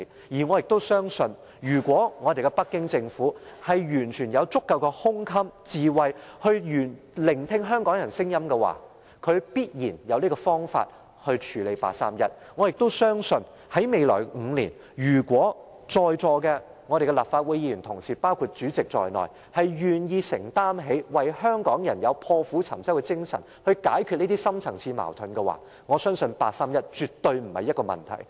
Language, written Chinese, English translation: Cantonese, 而我也相信，如果北京政府完全有足夠的胸襟和智慧聆聽香港人的聲音，他必然有方法處理八三一決定；我也相信，未來5年，如果在座的立法會議員，包括主席，願意為香港人承擔，以破釜沉舟的精神，解決這些深層次矛盾，我相信八三一決定絕對不是問題。, It is my belief that if the Beijing Government is liberal - minded and wise enough to listen to the views of Hong Kong people it can surely identify the ways to deal with the 31 August Decision . I also believe that in the coming five years if all Members present including the President are willing to commit themselves to serving the people of Hong Kong and resolutely settle these deep - rooted conflicts the 31 August Decision will never be a problem